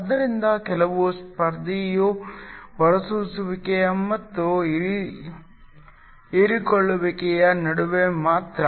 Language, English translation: Kannada, So, the only the competition is between emission and absorption